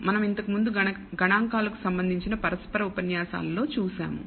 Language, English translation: Telugu, We have already seen one in the basic interactive lectures to statistics